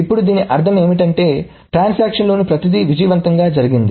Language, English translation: Telugu, Now this means that everything in the transaction has gone through successfully